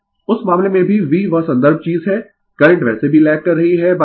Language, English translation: Hindi, In that case also V is that reference thing , current anyway lagging by theta